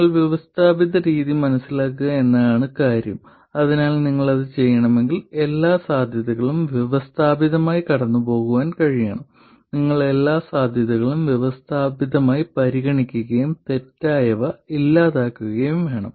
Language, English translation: Malayalam, But the point is to understand the systematic method so that if you have to do it, you have to be able to go through all the possibilities systematically, you have to consider all the possibilities systematically and eliminate all the wrong ones